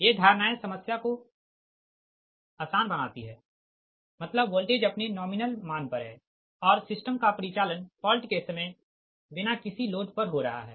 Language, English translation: Hindi, this assumptions simplify the problem and it means that the voltage e, that at its nominal value and the system is operating at no load at the time of fault